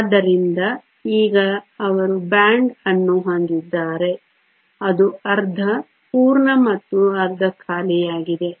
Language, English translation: Kannada, So, that now they have a band there is half full and half empty